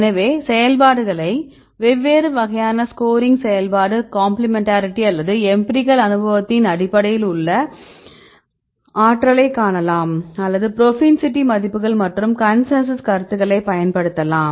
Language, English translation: Tamil, So, scoring functions right different types scoring function based on the complementarity or the empirical or you can see the energy or the using the propensity values and the consensus ones right